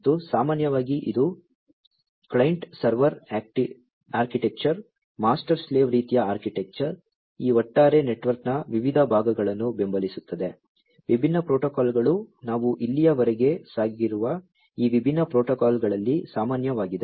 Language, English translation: Kannada, And, typically it is a client server architecture, master slave kind of architecture, different parts of this overall network supporting, different protocols is what is common across most of these different protocols that we have gone through so, far